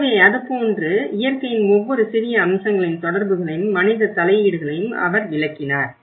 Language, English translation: Tamil, So, like that he did explain the connections of each and every small aspect of nature and the human interventions